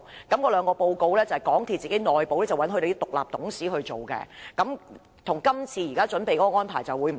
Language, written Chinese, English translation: Cantonese, 該兩份報告是港鐵內部的獨立董事撰寫，跟這次要求的安排不同。, The reports were written by independent directors of MTRCL which is different from the arrangement requested this time